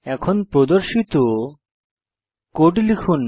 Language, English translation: Bengali, Now type the piece of code shown